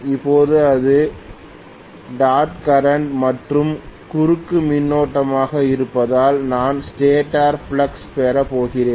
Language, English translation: Tamil, Now because it is dot current and cross current, I am going to have the stator flux